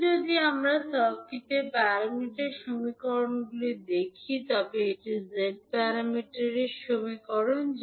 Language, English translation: Bengali, Now, if we write the circuit parameter equations that is Z parameter equations